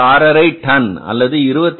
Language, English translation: Tamil, 5 tons or the 5 6